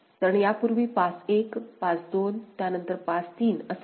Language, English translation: Marathi, Because earlier was pass 1, pass 2, then pass 3